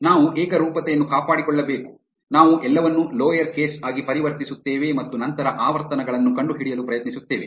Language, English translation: Kannada, We have to maintain uniformity we will convert everything into lower case and then try to find the frequencies